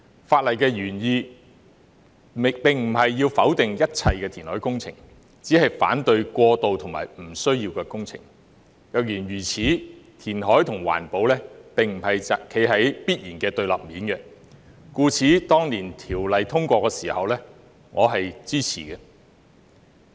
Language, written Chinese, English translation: Cantonese, 法例的原意並非要否定一切填海工程，只是反對過度和不需要的工程；若然如此，填海與環保並非必然處於對立面，故此當年通過《條例》時，我是支持的。, The original intent of the legislation is not to deny all reclamation but to oppose excessive and unnecessary works . Such being the case reclamation and environmental protection are not necessarily in conflict with each other . For this reason I expressed my support when the Ordinance was passed back then